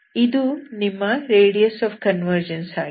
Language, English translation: Kannada, That is what is the meaning of radius of convergence, okay